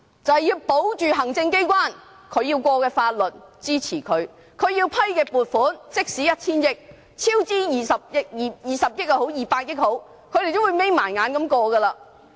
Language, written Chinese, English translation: Cantonese, 便是保着行政機關要通過的法律、予以支持；政府要批出的撥款，即使是 1,000 億元，不管是超支20億元或200億元，他們也會閉着眼睛通過。, They are the ones who ensure the passage of the bills which the executive authorities want to pass . If the Government wants a funding proposal to be approved even if it involves 100 billion or even if it involves a cost overrun of 2 billion or 20 billion they will approve it with their eyes closed